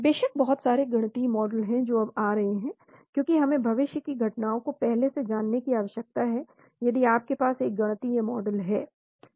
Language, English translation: Hindi, Of course there are a lot of mathematical models that are coming off late, because we need to predict the future events if you have a mathematical model